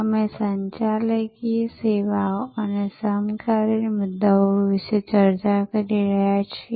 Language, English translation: Gujarati, We have been discussing about Managing Services and the contemporary issues